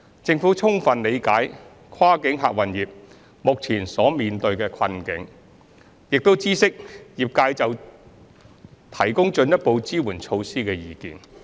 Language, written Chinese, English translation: Cantonese, 政府充分理解跨境客運業目前所面對的困境，並已知悉業界就提供進一步支援措施的意見。, The Government fully understands the predicament faced by the cross - boundary passenger transport trade at present and has taken note of the trades views on further support measures